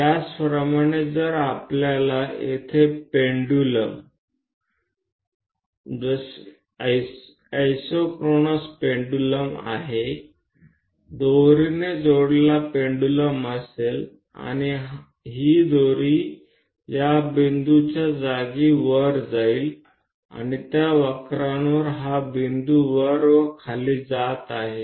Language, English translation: Marathi, Similarly, if we have pendulums isochronous pendulums here a pendulum connected by a rope and this rope is going up the location of this point with time and the curve along which this point is going up and down